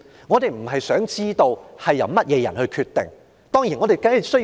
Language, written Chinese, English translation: Cantonese, 我們並非想知道由誰人決定這些措施。, I am not asking who are responsible for deciding these measures